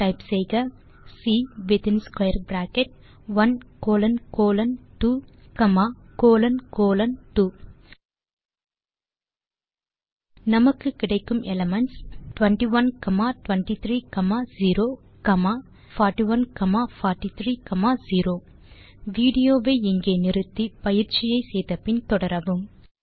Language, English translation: Tamil, Type C in square bracket 1 colon colon 2 comma colon colon 2 we get the elements, [[21, 23, 0] comma [41, 43, 0]] Pause the video here, try out the following exercise and resume the video